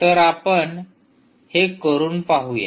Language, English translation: Marathi, so lets try that